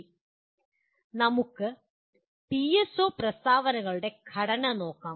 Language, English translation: Malayalam, Now let us look at the structure of PSO statements